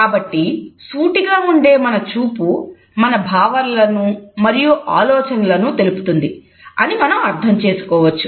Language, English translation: Telugu, So, we can understand that our direct eye contact signals our attitudes and thoughts